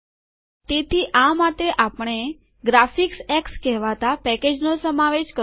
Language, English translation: Gujarati, So for this we need to include this package called graphicx